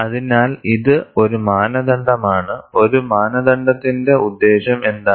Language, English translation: Malayalam, So, this is one aspect of, what is the purpose of a standard